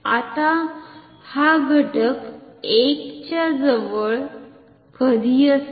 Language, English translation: Marathi, Now, when will this factor be close to 1